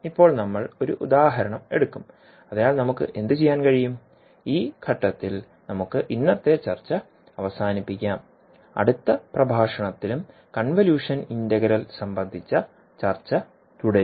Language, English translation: Malayalam, So now we will take one example so what we can do, we can stop our discussion today at this point and we will continue our discussion on convolution integral in the next lecture also